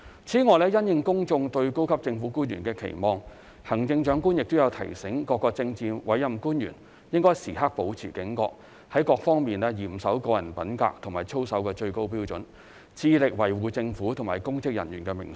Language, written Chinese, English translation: Cantonese, 此外，因應公眾對高級政府官員的期望，行政長官亦有提醒各政治委任官員應時刻保持警覺，在各方面嚴守個人品格和操守的最高標準，致力維護政府和公職人員的名聲。, Besides in view of the public expectation of senior government officials the Chief Executive has reminded the politically appointed officials PAOs should be vigilant at all times and observe the highest standards of personal conduct and integrity striving for safeguarding the reputations of the Government and all public officers